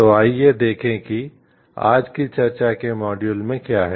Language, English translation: Hindi, So, let us see what is there in the module of today s discussion